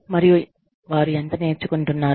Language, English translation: Telugu, And, how much, they are learning